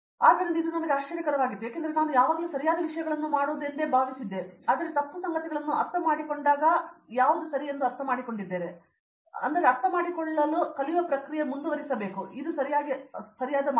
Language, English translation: Kannada, So, that was the surprise for me because I thought that it was always about doing the right things, but what I understood what is that it is also OK, to do the wrong things and understand and it’s a continues learning process to understand it in a right sense so